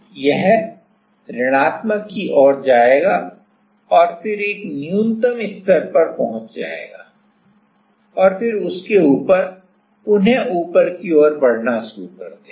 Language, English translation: Hindi, It will go toward negative and then it will reach a minima and then above that it will again start moving upward right